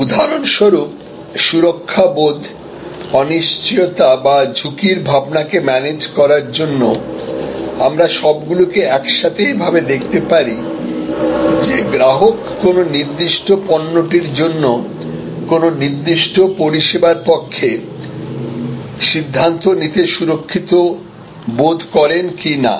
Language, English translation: Bengali, For example, sense of security, this is sense of security or managing uncertainty or managing the risk perception, all of these can be clubbed here, whether the customer feels secure to decide in favour of a particular service for that matter for a particular product